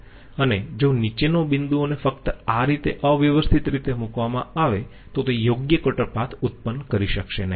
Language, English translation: Gujarati, And if the bottommost point is just randomly put through these, it cannot produce the proper cutter path okay